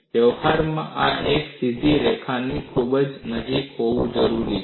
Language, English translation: Gujarati, In practice, this appears to be very close to a straight line